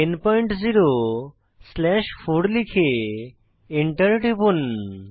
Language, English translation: Bengali, Type 10 slash 4 and press Enter